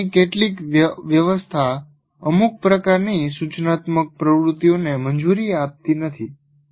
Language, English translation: Gujarati, And some arrangements of the furniture do not permit certain types of instructional activities